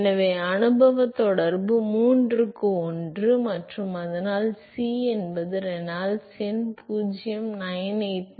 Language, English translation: Tamil, So, the empirical correlation is one by three and so, if C is Reynolds number 0